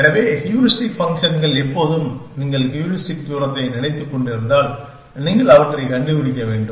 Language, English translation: Tamil, So, when heuristic functions, if you are thinking of heuristic as a distance, then you want to find them